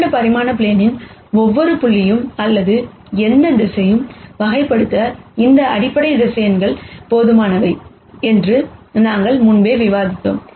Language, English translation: Tamil, That is what we described before, that these basis vectors are enough to characterize every point or any vector on this 2 dimensional plane